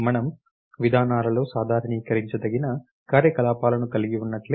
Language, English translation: Telugu, Just like we have operations which are generalizable in procedures